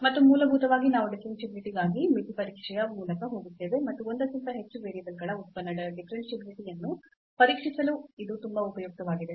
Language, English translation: Kannada, And basically we will go through the limit test for differentiability, and that is very useful to test differentiability of a function of more than one variable